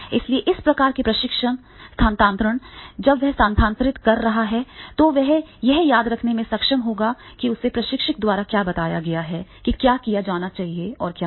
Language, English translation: Hindi, So, this type of the training transfer when he is transferring, then definitely he will be able to recall what has been told by the instructor to do's and what has been told by the instructor to do not